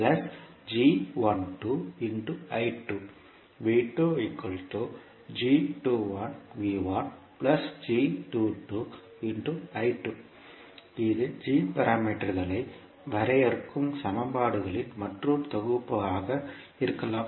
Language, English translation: Tamil, So, this can be another set of equations which will define the g parameters